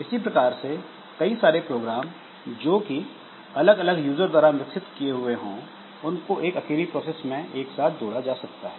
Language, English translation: Hindi, Similarly, a number of programs developed by different users that may be combined into a single process